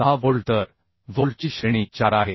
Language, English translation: Marathi, 6 bolts So grade of bolt is 4